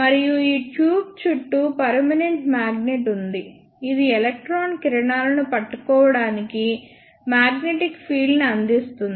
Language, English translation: Telugu, And there is a permanent magnet present all around this tube, which is used to provide magnetic field to hold the electron beams